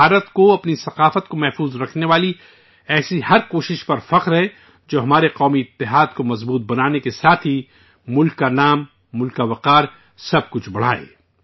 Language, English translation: Urdu, India is proud of every such effort to preserve her culture, which not only strengthens our national unity but also enhances the glory of the country, the honour of the country… infact, everything